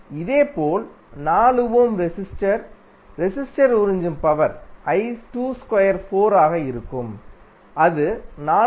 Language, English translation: Tamil, Similarly for 4 ohm resistor, the power absorbed the resistor would be I 2 square into 4 and that would be 436